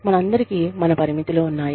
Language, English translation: Telugu, We all have our limits